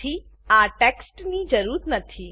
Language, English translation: Gujarati, So this text is not needed